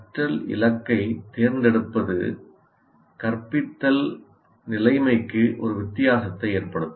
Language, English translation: Tamil, So the choice of learning goal will make a difference to the instructional situation